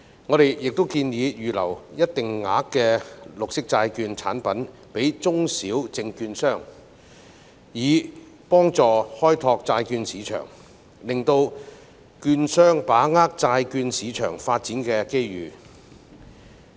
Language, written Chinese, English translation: Cantonese, 我們亦建議為中小證券商預留一定額度的綠色債券產品，以助開拓債市生意，讓券商把握債券市場發展的機遇。, We also suggest that a certain amount of green bond products should be reserved for small and medium securities dealers to help them develop business in the bond market thereby enabling them to seize opportunities arising from the development of the bond market